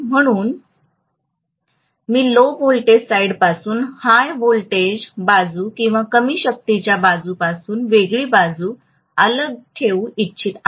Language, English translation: Marathi, So I would like to isolate a high voltage side from a low voltage side or high power side from a low power side